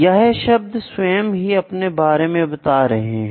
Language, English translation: Hindi, The terms itself tell something about that